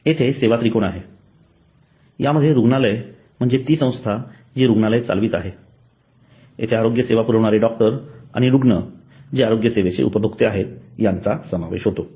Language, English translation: Marathi, The service triangle here are the hospital which is the company which is running the hospital and then there is the doctor who is provider of the healthcare service and patient who is the customer of the healthcare services